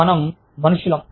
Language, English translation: Telugu, We are human beings